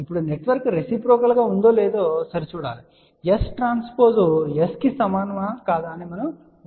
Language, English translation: Telugu, Now, to check whether the network is reciprocal or not we have to check whether S transpose is equal to S or not